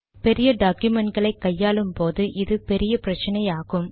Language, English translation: Tamil, This is a problem with large documents